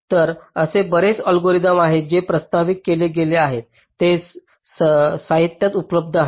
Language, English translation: Marathi, ok, fine, so there are a number of algorithms which have been proposed, and these are available in the literature